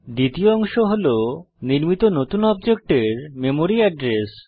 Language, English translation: Bengali, The second part is the memory address of the new object created